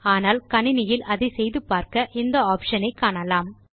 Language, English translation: Tamil, But when you try this on your computer, you will be able to see this option